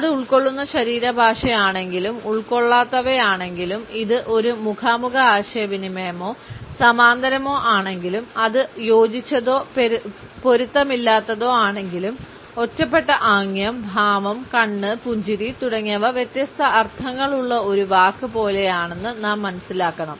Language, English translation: Malayalam, Whether it is an inclusive body language or non inclusive; whether it is a face to face interaction or parallel or whether it is congruent or incongruent, we have to understand that an isolated gesture, posture, eye smile etcetera is like a word which we have different meanings